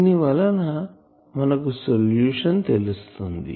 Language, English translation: Telugu, So, what will be the solution